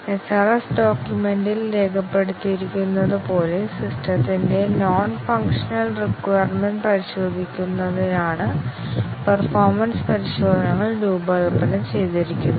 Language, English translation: Malayalam, The performance tests are designed to test the non functional requirements of the system as documented in the SRS document